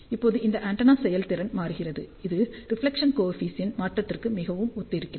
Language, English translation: Tamil, Now, this antenna efficiency is changing, it is very similar to the change in the reflection coefficient